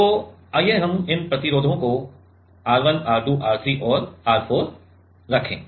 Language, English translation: Hindi, So, let us put this resistances R 1, R 2, R 3 and R 4